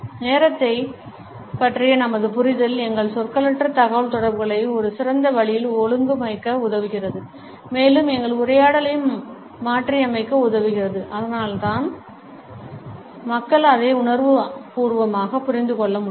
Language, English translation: Tamil, Our understanding of time helps us to organize our nonverbal communication in a better way and to modulate our dialogue and conversations in such a way that the other people can also empathetically understand it